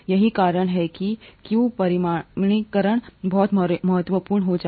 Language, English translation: Hindi, That’s why quantification becomes very important